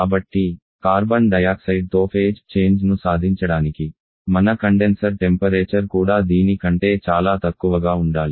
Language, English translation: Telugu, So, in order to achieve our phase change with carbon dioxide your condenser temperature also has to be much lower than this